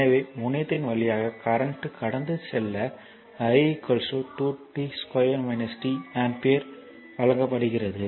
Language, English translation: Tamil, So, current passing through the terminal is given i is equal to 2 t square minus t ampere